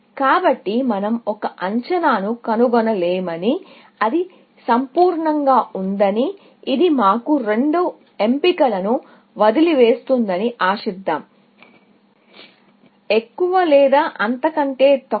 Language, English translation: Telugu, So, let us hope that, let us say, that we cannot find an estimate, which is perfect, which leaves us two choices; either greater than or less than